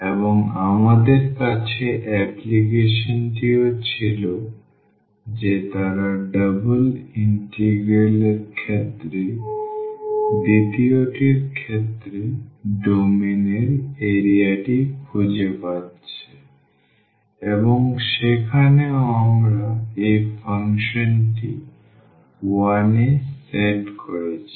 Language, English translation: Bengali, And, we had also the application they are finding the area of the domain in case of the second in case of the double integral and there also precisely we have set this function to 1